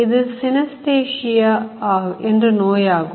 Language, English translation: Tamil, This is synesthesia